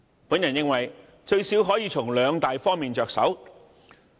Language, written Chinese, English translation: Cantonese, 我認為至少可以從兩大方面着手。, I think the Government can at least start working in two major areas